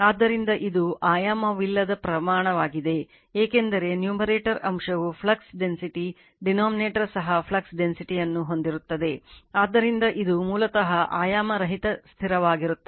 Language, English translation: Kannada, So, it is a dimensionless quantity, because numerator also flux density, denominator also flux density, so it is basically dimensionless constant